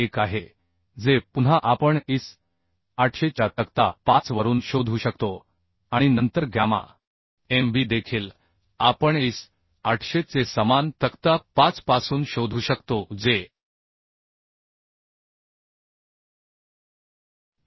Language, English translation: Marathi, 1 which again we can find out from table 5 of IS: 800 and then gamma mb also we can find out from similar table form same table table 5 of IS: 800 which is 1